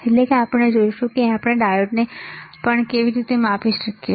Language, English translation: Gujarati, that means, we will see how we can measure the diode also